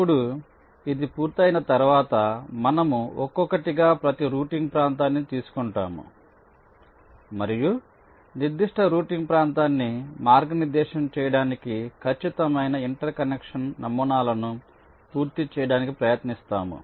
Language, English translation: Telugu, now, once this is done, we take every routing regions, one at a time, and try to complete the exact inter connection patterns to route that particular routing region